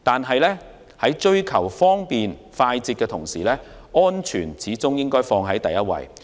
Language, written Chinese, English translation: Cantonese, 然而，在追求方便快捷的同時，始終應以安全為首要。, However security always come first in the pursuit of convenience and speed